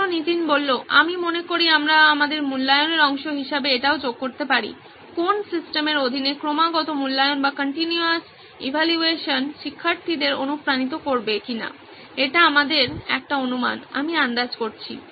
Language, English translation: Bengali, I think we can also add that as part of our assumption, whether continuous evaluation under what system would motivate students to, that is an assumption that we have made I guess